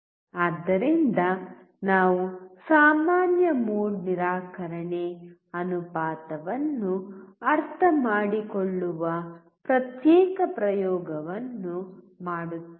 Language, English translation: Kannada, So, we will do a separate experiment where we will understand common mode rejection ratio